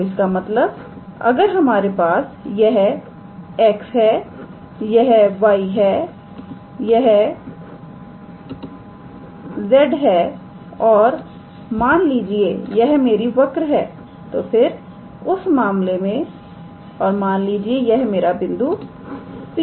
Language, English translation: Hindi, So, that means, if you have this is x, this is y and this is z, and let us say this is my curve then in that case and if this is the point P let us say